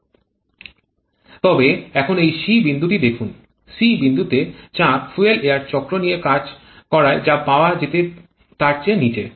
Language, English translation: Bengali, But now look at this point c the pressure at Point c is way below what we could have got had been working with the fuel air cycle